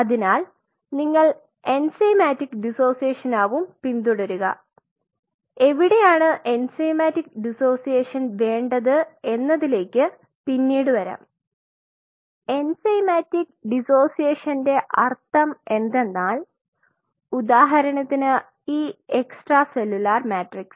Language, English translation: Malayalam, So, you follow something called enzymatic dissociation we will come later where you really needed enzymatic dissociation, enzymatic dissociation essentially means say for example, these extracellular ok